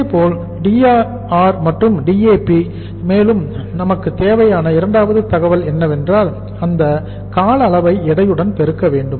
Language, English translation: Tamil, Similarly, Dar also Dar and Dap and second information we require is that that duration has to be multiplied with the weight